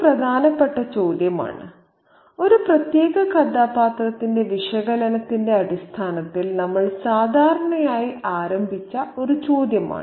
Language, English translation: Malayalam, This is an important question, a question that we usually begin with in terms of the analysis of the analysis of a particular character